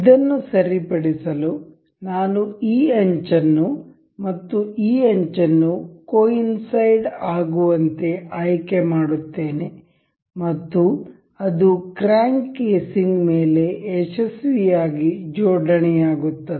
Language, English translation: Kannada, To fix this I will select this edge and this edge to coincide, and it successfully aligns over the crank casing